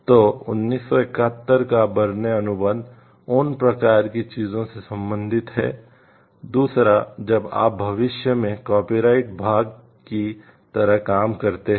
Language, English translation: Hindi, So, the Berne contract of 1971 deals with those kind of things, the second when you try future dealing like the copyright part